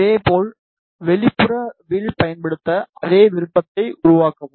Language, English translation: Tamil, In the similar way create an outer arc use same option